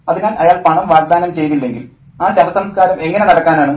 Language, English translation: Malayalam, So, if he doesn't offer the money, how is this funeral going to happen